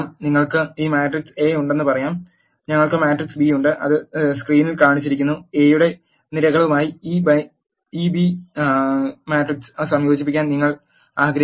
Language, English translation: Malayalam, Let us say you have this matrix A and we have matrix B which is shown in the screen you want to concatenate this B matrix with the columns of A